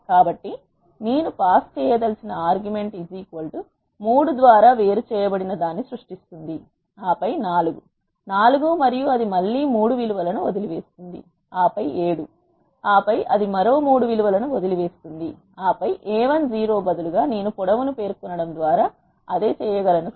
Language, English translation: Telugu, So, the argument which I want to pass is by equal to 3, this will create one separated by 3 and then 4 4 and it leaves again 3 values and then 7 and then it leaves another 3 values and then a 10 instead I can do the same by specifying the length